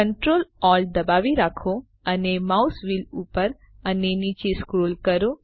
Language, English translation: Gujarati, Hold ctrl, alt and scroll the mouse wheel up and down